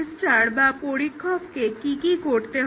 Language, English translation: Bengali, What does the tester have to do